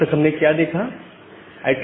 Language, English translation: Hindi, So, now we will see that we